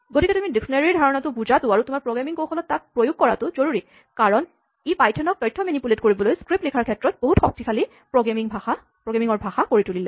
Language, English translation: Assamese, So, you should understand and assimilate dictionary in to your programming skills, because this is what makes python really a very powerful language for writing scripts to manipulate it